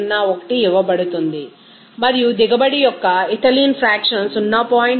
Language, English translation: Telugu, 501 and the fractional of the yield of the ethylene is given is 0